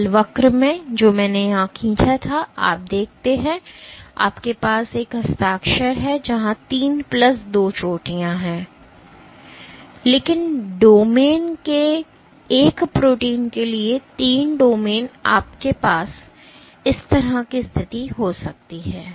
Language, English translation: Hindi, So, in the force curve that I drew here you see you have a signature where there are three plus two peaks, but for a protein of domain, three domains you might have a situation like this